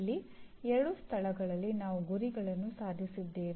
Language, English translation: Kannada, Here you have in two places we have attained the targets